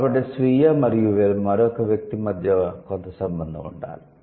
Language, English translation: Telugu, So there should be some relation between the self and another individual